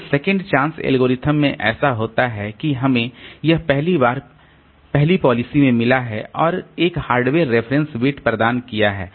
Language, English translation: Hindi, So, in second chance algorithm what happens is that we have got this first in first out policy plus one hardware provided reference bit